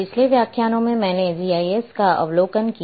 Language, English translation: Hindi, In previous lectures I gave overview of GIS